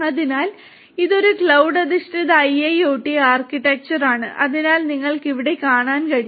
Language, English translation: Malayalam, So, this is a cloud based IIoT architecture so as you can see over here